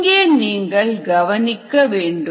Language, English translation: Tamil, here you see this figure